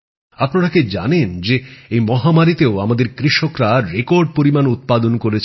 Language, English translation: Bengali, Do you know that even in this pandemic, our farmers have achieved record produce